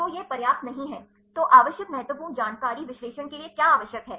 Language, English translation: Hindi, So, this is not sufficient so, what are the important information necessary for the analysis, what information necessary